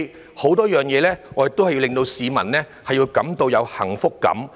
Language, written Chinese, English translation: Cantonese, 在很多事情上，我們都要令市民有幸福感。, In many matters we have to give people a sense of happiness